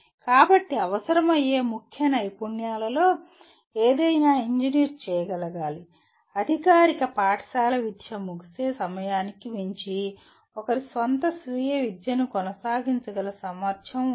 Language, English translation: Telugu, So one of the key skills that is required is any engineer should be able to, should have the ability to continue one’s own self education beyond the end of formal schooling